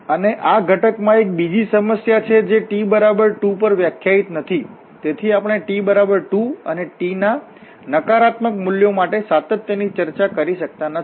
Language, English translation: Gujarati, And there is another problem in this component which is not defined at t is equal to 2, so, we cannot discuss the continuity at t is equal to 2 and also for the negative values of t